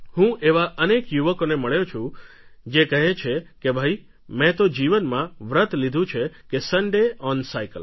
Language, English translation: Gujarati, I have met so many youth who have taken the pledge 'Sunday on Cycle'